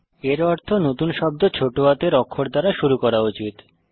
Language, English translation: Bengali, Which means that the first word should begin with a lower case